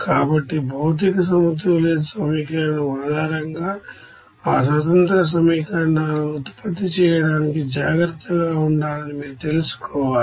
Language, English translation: Telugu, So you have to you know be careful for generating that independent equations based on material balance equation